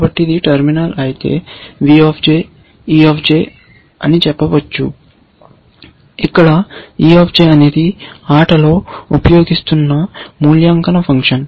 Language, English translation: Telugu, So, if it is terminal, then we can say that v j is e j where, e j is the evaluation function that we are using in the game